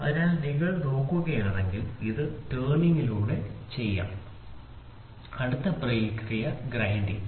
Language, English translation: Malayalam, So, if you look at it this can be done by turning, this can be done by turning and the next process will be grinding